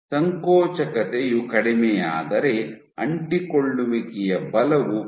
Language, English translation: Kannada, If the contractility goes down then the force at adhesions is supposed to go down